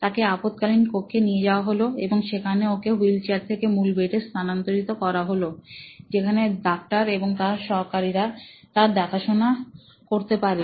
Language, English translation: Bengali, So, he was wheeled in from the ambulance into the emergency room and he was transferred from the stretcher, the bed on to their main bed where the doctors and the attendants would come and take care of the patient